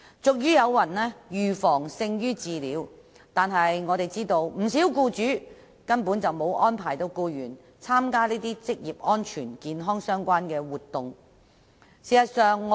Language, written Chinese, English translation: Cantonese, 俗語有云："預防勝於治療"，但據我們所知，不少僱主根本沒有安排僱員參加一些與職安健相關的活動。, As the saying goes Prevention is better than cure but it has come to our attention that many employers have failed to make arrangements for their employees to participate in activities relating to occupational safety and health